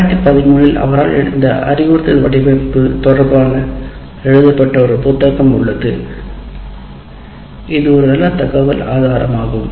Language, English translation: Tamil, And there is a 2013 book written by him related to this instruction design that is a good source of information